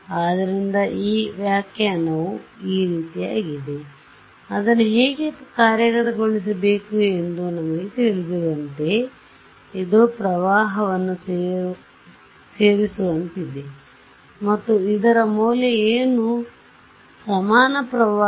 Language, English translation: Kannada, So, that interpretation is like this is just like a we know how to implement it right it is like adding a current and what is the value of this equivalent current